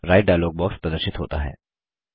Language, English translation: Hindi, The Write dialog box appears